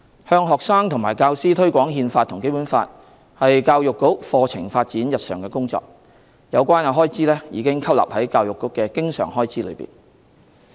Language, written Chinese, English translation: Cantonese, 向學生和教師推廣《憲法》和《基本法》是教育局課程發展日常的工作，有關開支已吸納在教育局的經常開支內。, As promotion of the Constitution and the Basic Law to students and teachers is within the purview of the Education Bureaus day - to - day curriculum development the expenditure involved is subsumed under the recurrent expenditure of the Education Bureau